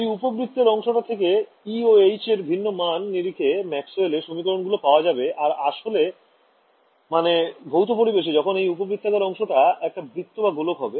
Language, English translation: Bengali, This ellipsoid gives me a whole family of Maxwell’s equations for different values of e’s and h’s and I get back reality, so called physical reality when that ellipsoid becomes a circle right or a sphere over here